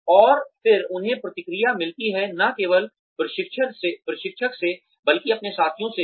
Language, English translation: Hindi, And then, they get feedback, not only from the trainer, but also from their peers